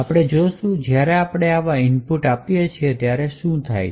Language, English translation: Gujarati, So, we will see what happens when we give such an input